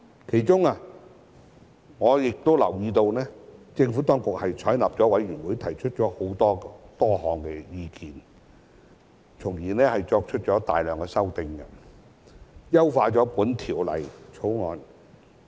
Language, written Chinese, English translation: Cantonese, 其中我留意到政府當局採納了委員會提出的多項意見，繼而提出了大量修正案，優化了《條例草案》。, I note that the Administration has taken on board many of the comments made by the Bills Committee and has subsequently proposed a number of amendments to enhance the Bill